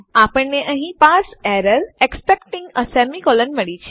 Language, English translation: Gujarati, We have got a parse error here expecting a semicolon